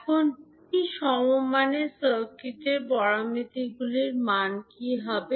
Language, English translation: Bengali, Now, what would be the value of T equivalent circuit parameters